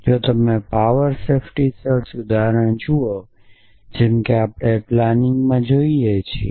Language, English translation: Gujarati, So, if you look at the power safety search example like we are looking at in planning